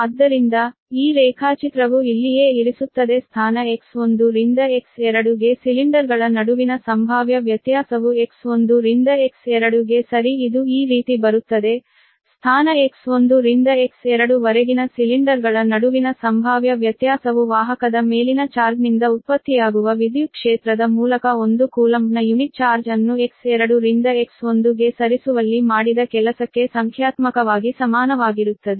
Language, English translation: Kannada, therefore, the potential difference between cylinders from position x one to x two, from position x one to x two, right, it goes like this, coming like this, the potential difference between cylinders from position x one and x two is numerically equal to the work done in moving a unit charge of one coulomb from x two to x one right there, through the electric field produced by the charge on the conductor